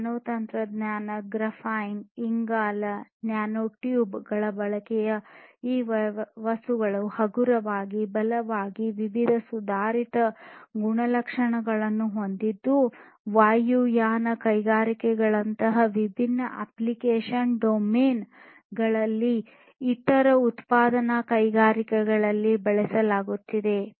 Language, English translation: Kannada, Use of nanotechnology, Graphene, carbon, nanotubes these are also making these materials lighter, stronger having different advanced properties for being used in different application domains such as aviation industries, for different other manufacturing industries and so on